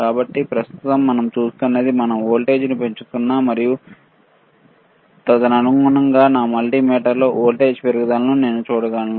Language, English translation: Telugu, So, right now what we see is we can change the voltage we I am increasing the voltage and correspondingly I can see the increase in the voltage here on my multimeter